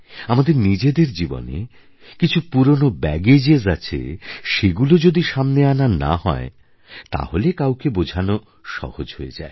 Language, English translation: Bengali, There are old baggage's of our own lives and when they do not come in the way, it becomes easier to understand others